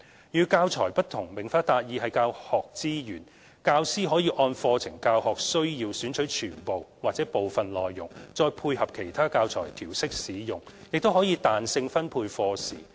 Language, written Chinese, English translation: Cantonese, 與"教材"不同，"明法達義"是教學資源，教師可按課程教學需要選取全部或部分內容再配合其他教材調適使用，亦可彈性分配課時。, Teachers may adopt such resources in part or in whole together with other adapted teaching materials to fit the particular teaching needs of the curriculum . They may also allocate lesson hours flexibly as they see fit